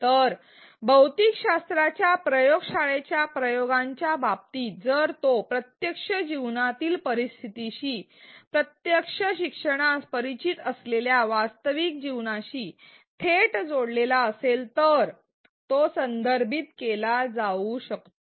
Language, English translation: Marathi, So, in the case of the physics lab experiments it could be contextualized if it is directly connected with a real life situation, a real life scenario that the learner is familiar with